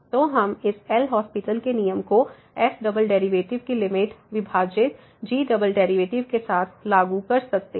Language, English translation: Hindi, So, we can further apply this L’Hospital’s rule together limit of this double derivative divided by double derivative